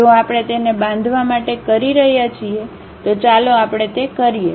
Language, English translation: Gujarati, If we are doing it construct, let us do that